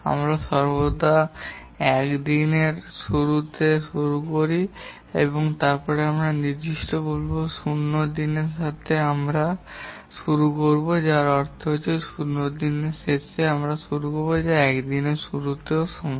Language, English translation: Bengali, But for that purpose, we will say that we will start in day zero, which means that we will start at the end of day zero which is also equal to the start of day one